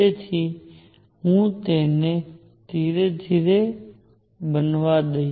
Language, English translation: Gujarati, So, let me build it up slowly